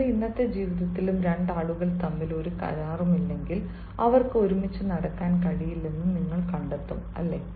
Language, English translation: Malayalam, even in your day today, life also, you will find if there is no agreement between the two people, they cannot walk to the other isnt it